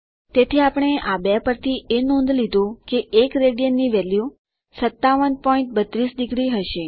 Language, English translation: Gujarati, So we notice from these two that the value of 1 rad will be 57.32 degrees